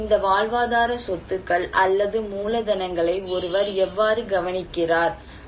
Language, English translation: Tamil, So, how one look into these livelihood assets or capitals